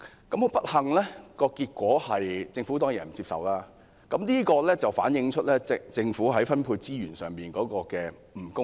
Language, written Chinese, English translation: Cantonese, 很不幸，政府當然不接受這項建議，反映政府在分配資源上的不公義。, Unfortunately the Government certainly will not accept this proposal and this shows how unjust the Government is in its resource allocation